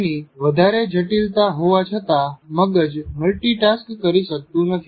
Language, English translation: Gujarati, In spite of its great complexity, brain cannot multitask